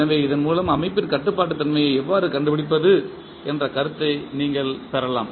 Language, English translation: Tamil, So, with this you can get an idea that how to find the controllability of the system